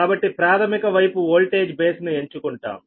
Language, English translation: Telugu, so let us choose a voltage base